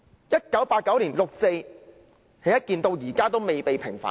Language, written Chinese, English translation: Cantonese, 1989年的六四事件，至今尚未平反。, The 4 June incident in 1989 has not yet been vindicated